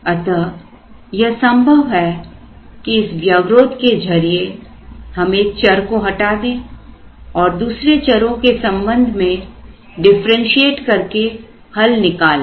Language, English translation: Hindi, So, it is possible to eliminate one of the variables through this constraint and then differentiate with respect to the other variables and solve it